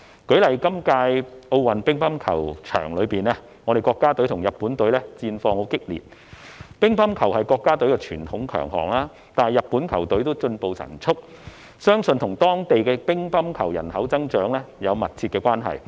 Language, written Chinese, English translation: Cantonese, 舉例而言，在今屆奧運乒乓球場上，國家隊與日本隊戰況激烈；傳統上，乒乓球是國家的強項，但日本的球隊也進步神速，相信與當地乒乓球人口增長有密切關係。, For example the national team and the Japanese team were in heated competition on the matching ground of table tennis at this Olympic Games . Table tennis is traditionally a strong suit of the country yet the Japanese team has also been improving with an amazing speed and that is supposedly closely related to the growth of the table tennis population in Japan